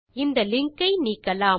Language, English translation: Tamil, Let us delete this link